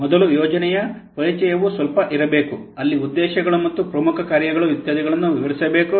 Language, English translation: Kannada, First, there will be a little bit of introduction of the project where the objectives and the major functions etc should be described